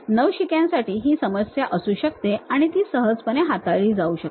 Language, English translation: Marathi, For a beginner that might be an issue, so that can be easily handled